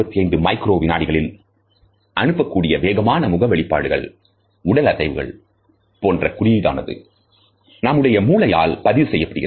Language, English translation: Tamil, The signals which are sent in 125 microseconds, the fleeting facial expressions and body movements can also be registered by our brain